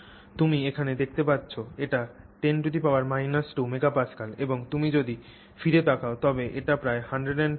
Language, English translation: Bengali, So, you can see here, so this is 10 power minus 2 MPA and if you go back this is about 10 power 2 MPA